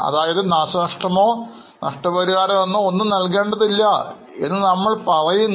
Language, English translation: Malayalam, That means we say that nothing is payable as a damages or as a compensation